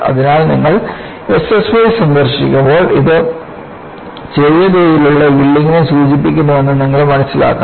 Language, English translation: Malayalam, So, when you come across S S Y, you should understand that it refers to Small Scale Yielding